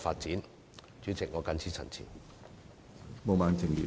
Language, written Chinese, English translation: Cantonese, 主席，本人謹此陳辭。, President I so submit . positive